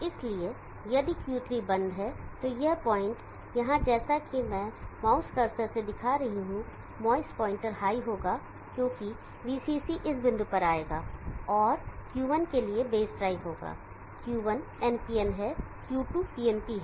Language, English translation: Hindi, So if Q3 is off this point here as I am showing the mouse cursor, the mouse pointer will be high, because VCC will come to this point and there will be base drive for Q1, Q1 is NPN, Q2 is PNP